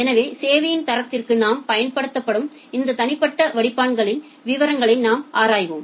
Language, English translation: Tamil, So, we look into the details of these individual filters that we apply for quality of service